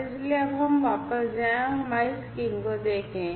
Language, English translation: Hindi, And so let us now go back and look at our screen